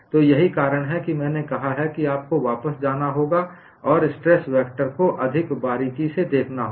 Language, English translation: Hindi, So, that is the reason why I said you have to go back and look at stress vector more closely